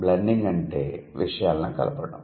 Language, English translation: Telugu, So, blending means mixing things together